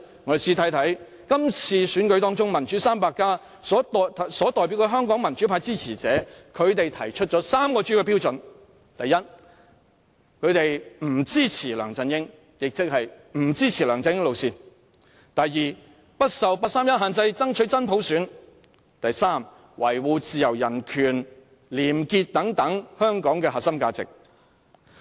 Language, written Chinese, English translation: Cantonese, 我們試看看今次選舉中，"民主 300+" 所代表的香港民主派支持者，他們提出了3個主要標準。第一，他們不支持梁振英，亦即不支持梁振英路線；第二，不受八三一限制，爭取真普選；第三，維護自由人權、廉潔等香港的核心價值。, Try to take a look at the three major criteria suggested by Democrats 300 a group of people emerged from the current election which represents supporters of the pro - democracy camp First the Chief Executive should support neither LEUNG Chun - ying nor his approach; second not being constrained by the 31 August Decision he will strive for genuine universal suffrage; third he will defend the core values of Hong Kong such as freedom human rights probity etc